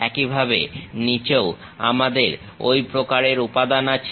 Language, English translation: Bengali, Similarly, at bottom also we have that kind of material